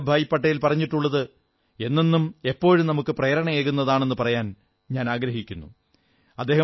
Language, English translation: Malayalam, One ideal of Sardar Vallabhbhai Patel will always be inspiring to all of us